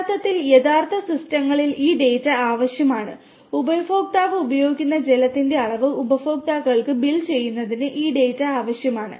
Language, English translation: Malayalam, And this data is required to actually in real systems this data is required to bill the customers on the amount of water that the customer is using